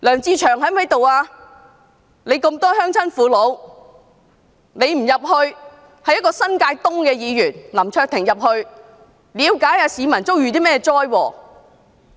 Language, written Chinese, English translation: Cantonese, 他在該區有眾多鄉親父老，他不趕往現場，反而新界東的林卓廷議員前往了解市民遭遇甚麼災禍。, Though he has the support of many village elders in Yuen Long he did not rush to the scene . It was Mr LAM Cheuk - ting of New Territories East who was present at the scene to see what hazards the public was facing